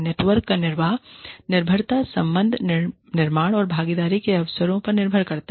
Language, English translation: Hindi, The sustenance of network depends on, relationship building, and opportunities for involvement